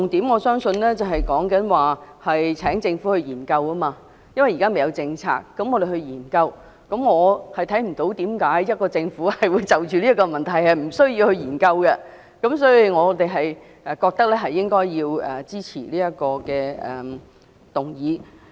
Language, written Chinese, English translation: Cantonese, "我相信重點是請政府研究；因為現時未有政策，我們便要研究，我看不到為何政府無須就此問題進行研究，所以，我們認為要支持這項議案。, It is because no policies have been put in place for the time being therefore we have to study them . I do not see why the Government needs not conduct a study on this issue . For this reason we consider that we should support the motion